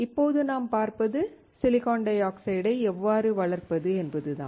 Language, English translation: Tamil, Now, what we see is how we can grow silicon dioxide